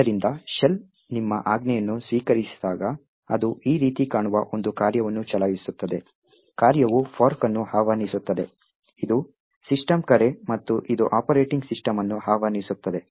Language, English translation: Kannada, So, when the shell receives your command, it would run a function which looks something like this, the function would invoke a fork, which is a system call and it invokes the operating system